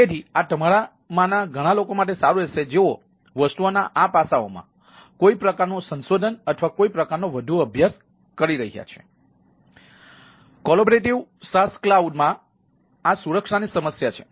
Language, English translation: Gujarati, so this will be good to for ah many of you ah who are looking at ah some some sort of a ah um research or some sort of a more studying into these aspects of the things